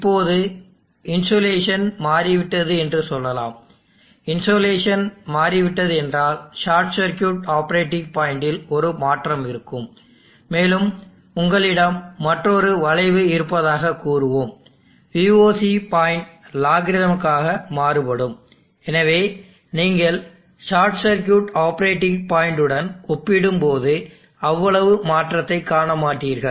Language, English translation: Tamil, Now let us say the insulation of change, insulation of change means there will be a change in the short circuit operating point, and let us say you have another cup, the VOC point where is logarithmically, so you will not see that much of change has compared to the short circuit operating point